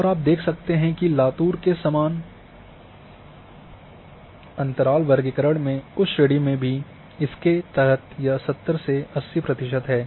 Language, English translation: Hindi, And you see that in Latur that category even in equal interval classification it comes under this 70 to 80 percent